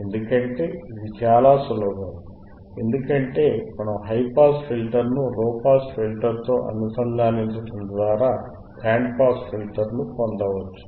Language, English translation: Telugu, Because it is so simple that by integrating the high pass filter to the low pass filter we can get a band pass filter